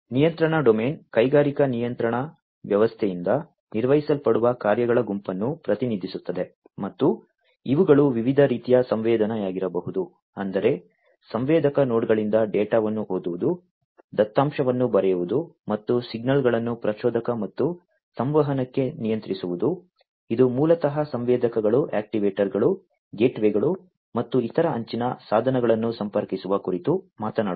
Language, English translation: Kannada, The control domain represents the set of functions that are performed by the industrial control system and these could be of different types sensing; that means, reading the data from the sensor nodes, actuation writing data and controlling signals into an actuator and communication, which basically talks about connecting the sensors, actuators, gateways, and other edge devices